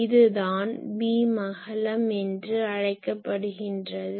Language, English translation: Tamil, So, these is called beam width